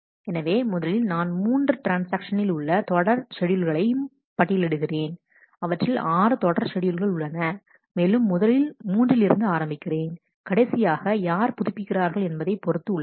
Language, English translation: Tamil, So, first I list out all the serial schedules given 3 transactions, there are 6 serial schedules and then I first start with condition 3 which is who is doing the last update